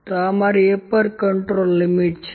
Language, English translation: Gujarati, So, this is my upper control limit